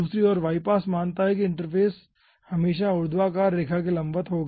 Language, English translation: Hindi, on the other hand, y pass considers that the interface will be always ah perpendicular to the vertical line